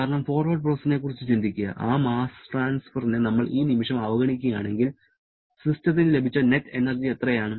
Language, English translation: Malayalam, Because just think about during the forward process; if we neglect that mass transfer for the moment, then how much is the net energy that system has received